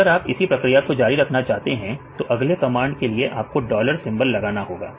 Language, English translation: Hindi, So, if you do like this then the next will come with this dollar symbol for the next command